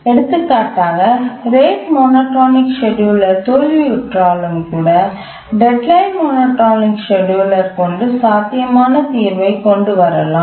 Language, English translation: Tamil, For example, even when the rate monotonic scheduler fails, the deadline monotonic scheduler may come up with a feasible solution